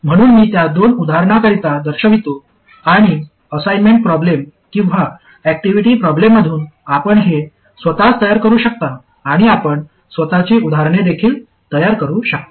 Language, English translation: Marathi, So I will show it for a couple of examples and you can work it out yourself from assignment problems or activity problems and you can even create your own examples